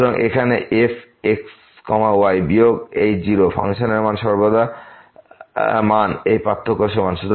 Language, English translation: Bengali, So, here minus this 0, the function value is equal to this difference